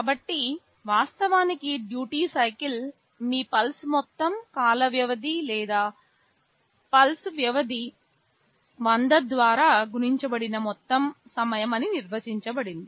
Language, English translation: Telugu, So, actually duty cycle is defined as the total time for which your pulse is on divided by the total time period or the pulse period multiplied by 100